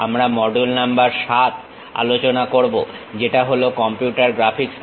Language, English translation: Bengali, We are covering module number 7 which is about Computer Graphics